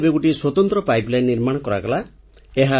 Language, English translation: Odia, Now an Independent pipeline has been constructed